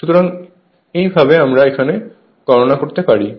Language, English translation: Bengali, So, this is how one can calculate your this thing